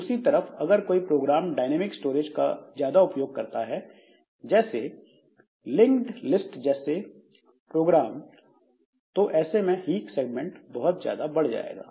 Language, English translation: Hindi, On the other hand, if a program has got more of this dynamic storage utilization, like link type of programs so they for them this hip segment will grow significantly